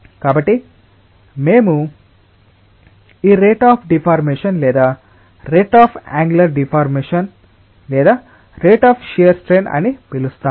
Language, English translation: Telugu, so we call this rate of deformation or rate of angular deformation or rate of shear strength in fluids